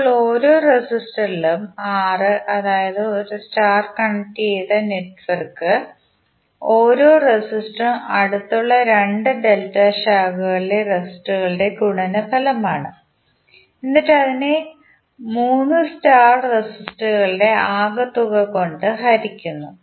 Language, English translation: Malayalam, Now in each resistor in R, where that is the star connected network, the each resistor is the product of the resistors in 2 adjacent delta branches divided by some of the 3 star resistors